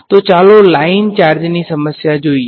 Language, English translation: Gujarati, So, let us lo at a Line Charge Problem